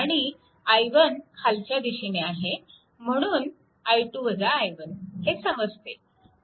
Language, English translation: Marathi, So, this I 1 is downwards right and this small i 2 upwards